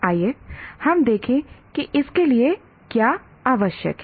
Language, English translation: Hindi, Let us look at what is the need for this